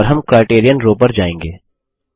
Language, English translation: Hindi, and we will go to the Criterion row